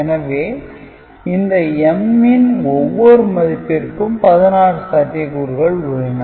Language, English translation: Tamil, So, for each of these cases of M you have got sixteen possibilities